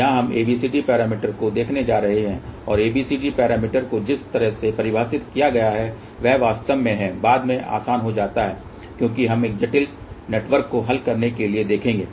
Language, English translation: Hindi, Here we are going to look at ABCD parameters and the way ABCD parameters are defined which actually becomes easier later on as we will see to solve a complex network